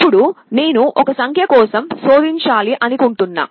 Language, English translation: Telugu, Now, I want to search for a number